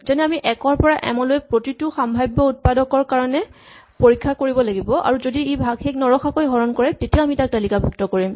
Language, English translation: Assamese, For instance we have to check for every possible factor from 1 to m if it divides m and then put it in the list